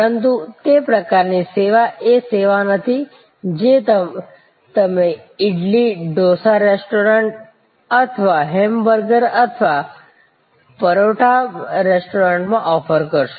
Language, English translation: Gujarati, But, that sort of service is not the service which you would offer at an idly, dosa restaurant or a hamburger or parotta restaurant